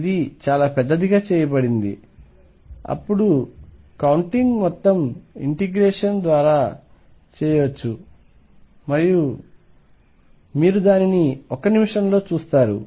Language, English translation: Telugu, So, large that all the counting can be done through integration and you will see in a minute